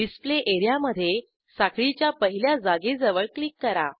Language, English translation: Marathi, Click on the Display area near the first chain position